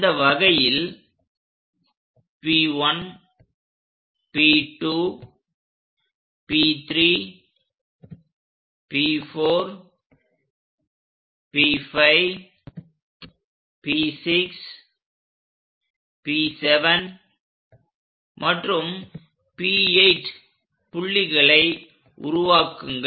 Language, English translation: Tamil, In that way make points P1, P2, P3, P4, P5, P6, P7 and P 8 point anyway we have it at this end